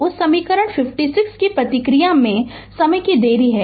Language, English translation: Hindi, There is a time delay in the response of that equation 57 right